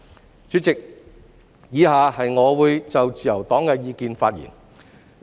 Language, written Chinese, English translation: Cantonese, 代理主席，以下我會就自由黨的意見發言。, Deputy President I will now express the views of the Liberal Party